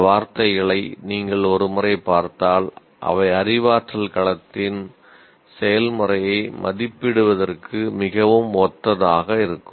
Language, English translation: Tamil, If you look at it, these words once again look very similar to evaluate process of cognitive domain